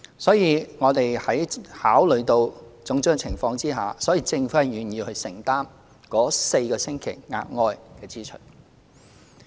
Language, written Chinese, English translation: Cantonese, 所以，我們在考慮種種情況下，政府願意承擔該4星期的額外支出。, Therefore having considered various factors involved the Government is willing to bear the additional staff cost brought about by the extension of maternity leave by four weeks